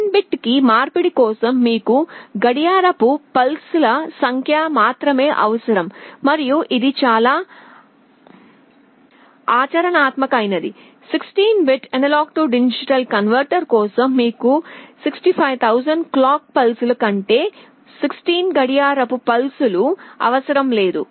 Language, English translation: Telugu, In the sense that for n bit conversion you require only n number of clock pulses and which is very much practical; for a 16 bit AD converter you need no more than 16 clock pulses rather than 65000 clock pulses